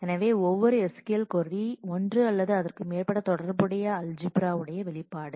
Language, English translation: Tamil, So, corresponding to every SQL query there is a one or more relational algebra expression